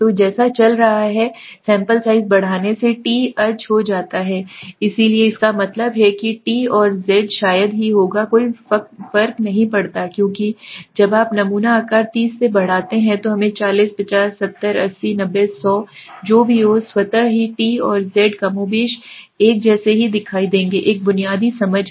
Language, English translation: Hindi, So as you go on increasing the sample size the t tends to become a z so that means the t and z hardly there would be any difference because when you increase the sample size from 30 to let us say 40, 50, 70, 80, 90, 100 whatever then automatically the t and the z would more or less look same right so there is a basic understanding